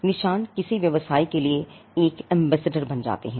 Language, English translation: Hindi, And the marks become some kind of an ambassador for a business